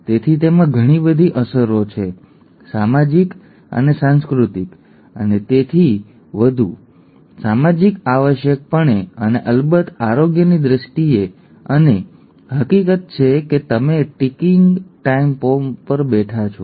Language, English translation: Gujarati, So it is it has a lot of ramifications social and cultural and so social essentially and of course health wise and the fact that you could be sitting on a ticking time bomb